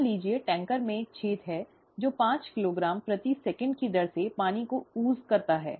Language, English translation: Hindi, Suppose, there is a hole in the tanker, which oozes water at the rate of five kilogram per second